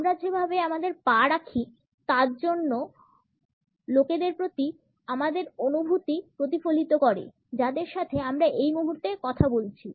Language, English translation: Bengali, The way we position our feet also reflects our feelings towards other people to whom we happen to be talking to at the moment